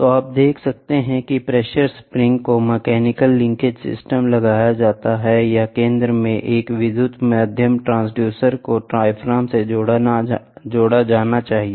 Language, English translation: Hindi, So, you can see pressure springs are applied mechanical linkage system, or an electrical secondary transducer need to be connected to the diaphragm at the center